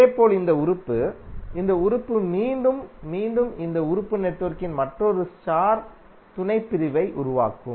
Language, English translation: Tamil, Similarly, this element, this element and again this element will create another star subsection of the network